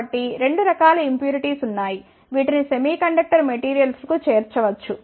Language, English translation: Telugu, So, there are 2 types of impurities, which can be added to semiconductor materials